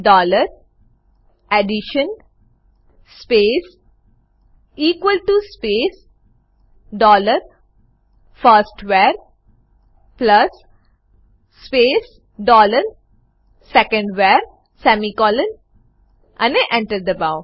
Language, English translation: Gujarati, For this type dollar addition space equal to space dollar firstVar plus space dollar secondVar semicolonand Press Enter